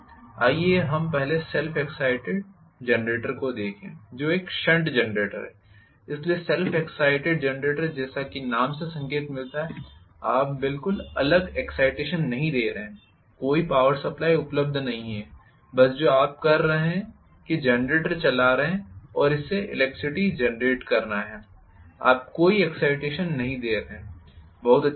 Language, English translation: Hindi, Let us quickly look at the first self excited generator which is a shunt generator, so the self excited generator as the name indicate you are not going to give a separate excitation at all, no power supply available, all you are doing is just driving the generator and it has to produce electricity, no excitation you are giving, Right